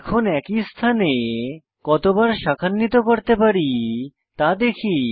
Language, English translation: Bengali, Lets see how many times we can branch at one position